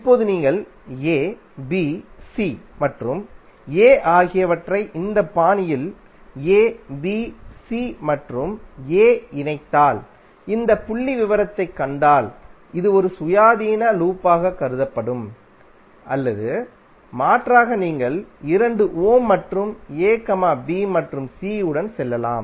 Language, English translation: Tamil, Now if you see this figure if you connect a, b, c and a in this fashion a, b, c and a this will be considered one independent loop or alternatively you can go with a, b and c which is through two ohm and then a that will be another independent loop or you can have two and three ohm connected that is also another independent loop